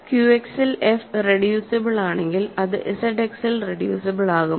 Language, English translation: Malayalam, If f is reducible in Q X then it is reducible in Z X